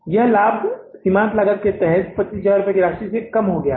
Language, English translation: Hindi, This profit has come down under the marginal costing by a sum of rupees, 25,000 rupees